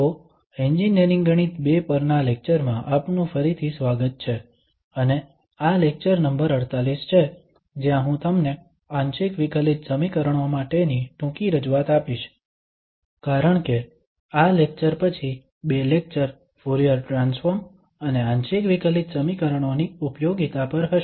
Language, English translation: Gujarati, So, welcome back to lectures on Engineering Mathematics II and this is lecture number 48, where I will give you a short introduction to partial differential equations because after this lecture there will be two lectures on the applications of Fourier transforms to partial differential equations